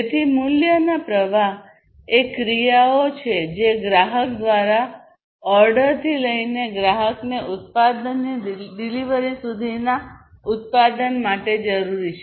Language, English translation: Gujarati, So, value streams are all the actions that are required for a product from order by the customer to the delivery of the product to the customer